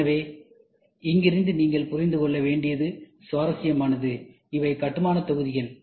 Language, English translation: Tamil, So, it is interesting from here you should understand, these are building blocks